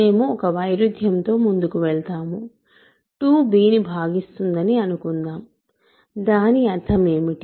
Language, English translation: Telugu, So, we proceed by contradiction, suppose 2 divides b, what is the meaning of that